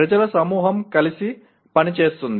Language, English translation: Telugu, A group of people will work together